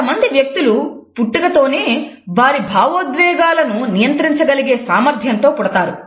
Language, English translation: Telugu, Some people are born with the capability to control their expressions